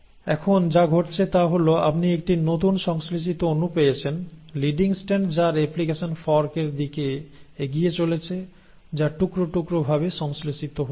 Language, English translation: Bengali, So what is happening now is that you are getting a new molecule synthesised, with the leading strand which is moving towards the replication fork and a lagging strand which is getting synthesised in bits and pieces